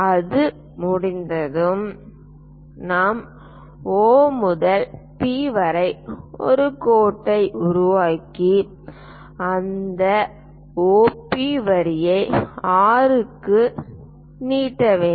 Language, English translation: Tamil, Once it is done, we have to construct a line from O to P and then extend that O P line all the way to R